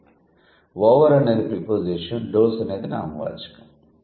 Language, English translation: Telugu, So, over is the preposition, does is the noun